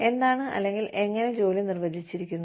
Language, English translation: Malayalam, What, how the job is defined